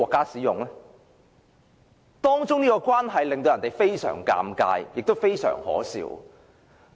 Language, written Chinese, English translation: Cantonese, 這種關係令人感到非常尷尬，亦非常可笑。, This relationship is rather embarrassing and ludicrous